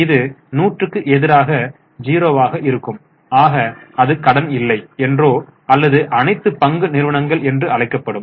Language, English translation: Tamil, It can be 100 versus 0 that will be called as no debt or all equity company